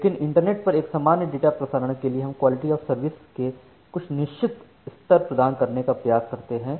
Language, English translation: Hindi, But, for a general internet for a general data transfer over the internet we try to provide certain level of quality of service